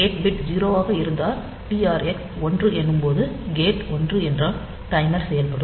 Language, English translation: Tamil, So, if this gate bit is 0, then this whenever TR x is one, the timer will operate if the gate is one